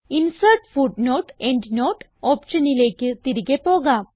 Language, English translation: Malayalam, Lets go back to Insert and Footnote/Endnote option